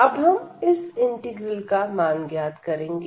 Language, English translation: Hindi, So, now let us evaluate this integral